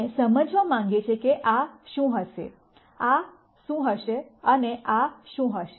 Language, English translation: Gujarati, We want to understand what this will be, what this will be and what this will be